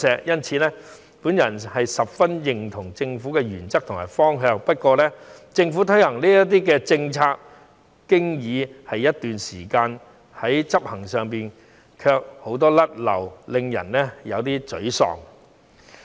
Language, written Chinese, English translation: Cantonese, 因此，我十分認同政府的原則和方向，但政府推行這些政策已經一段時間，在執行上卻有很多"甩漏"，令人有些沮喪。, Hence I very much agree with the principles and direction of the Government . Nevertheless these policies were already introduced by the Government some time ago and many flaws have been detected during implementation . This is somewhat frustrating